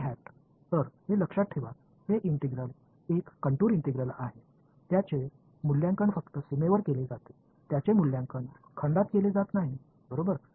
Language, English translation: Marathi, So n hat, so, this remember this is integral is a contour integral, it is evaluated only on the boundary, it is not evaluated in a volume right